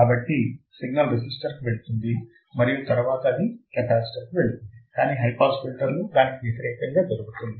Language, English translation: Telugu, So, the signal goes to the resistor and then it goes to the capacitor, but in the high pass filter it is opposite of that